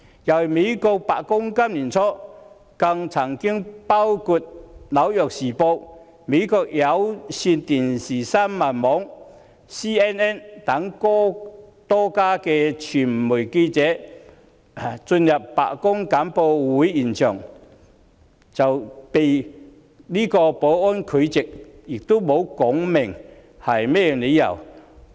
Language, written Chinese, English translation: Cantonese, 今年年初，美國白宮曾禁止多家媒體，包括《紐約時報》、美國有線電視新聞網的記者進入白宮簡報會現場，但也沒有說明理由。, At the beginning of this year the White House banned journalists from a number of media including the New York Times and CNN from entering the venue where the White House press briefing was held but no reasons had been provided